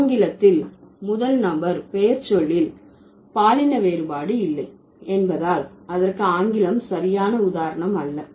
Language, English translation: Tamil, English is not the right kind of example for that because in English we don't have any gender difference in the first person pronoun